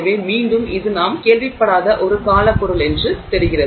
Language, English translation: Tamil, So again it seems to be a wonder material which we have not heard about